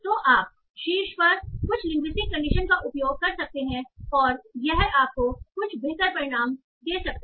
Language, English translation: Hindi, So you can use some linguistic intuitions on top and that can give you some better results